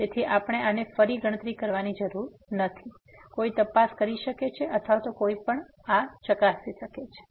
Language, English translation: Gujarati, So, we do not have to compute this again one can check or one can verify this